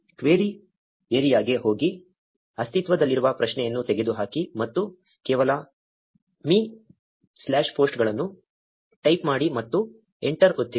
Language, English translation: Kannada, Go to the query area remove the existing query and just type me slash posts and press enter